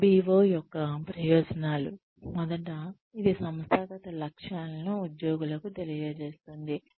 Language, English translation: Telugu, Benefits of MBO are, first, it communicates organizational aims to employees